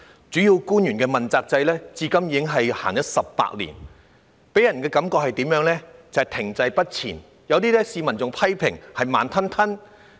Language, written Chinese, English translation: Cantonese, 主要官員問責制自實施至今，已有18年，卻給人停滯不前的感覺，被市民批評為"慢吞吞"。, It has been 18 years since the implementation of the accountability system for principal officials but it gives people the impression that no progress has ever been made and is thus criticized by the public for being as slow as molasses